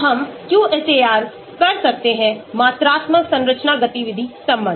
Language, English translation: Hindi, So, we can have QSAR; quantitative structure activity relationship